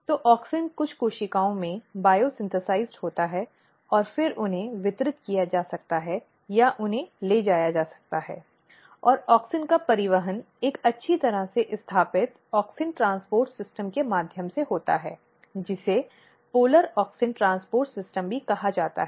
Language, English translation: Hindi, So, auxin is bio synthesized in some of the cells and then they can be distributed or they can be transported and the transport of auxins occurs through a well established auxin transport system which is also called polar auxin transport system